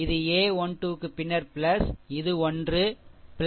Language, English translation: Tamil, This is a 1 3 then plus this one, plus this one